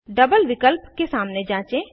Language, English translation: Hindi, Check against double option